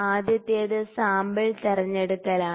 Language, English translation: Malayalam, First is the sample selection